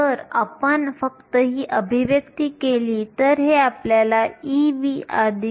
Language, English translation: Marathi, If you simply this expression, this gives you e v plus 0